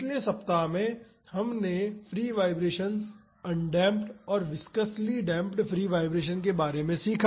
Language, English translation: Hindi, In the first week we learned about free vibrations, undamped and viscously damped free vibrations